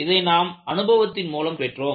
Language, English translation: Tamil, You have got it by experience